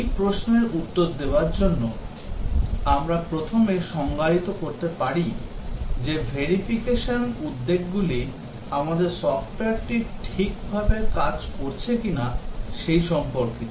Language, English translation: Bengali, To answer this question, we can first define that verification concerns about whether we are building the software right